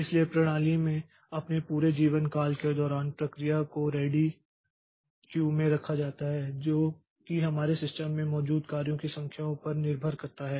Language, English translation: Hindi, So, during its entire lifetime in the system so process is kept in the ready queue for quite some time depending upon the number of jobs that we have in the system